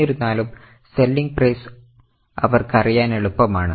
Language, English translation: Malayalam, However, they will know the selling price